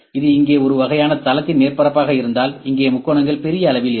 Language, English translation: Tamil, If it is a kind of a plane surface here, so here the triangles can be of bigger size